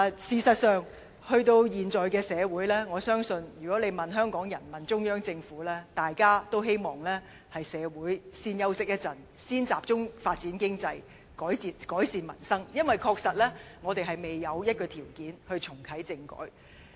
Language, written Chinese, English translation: Cantonese, 事實上，在現今社會狀況下，我相信如果問香港人和中央政府，大家均會表示，希望社會先休息一會，先集中發展經濟、改善民生，因為我們確實未有條件重啟政改。, In fact under the current circumstances in society I believe both Hong Kong people and the Central Government would say that they wish society to take a rest and concentrate first on economy development and the peoples livelihood as we surely do not have the right conditions to reactivate constitutional reform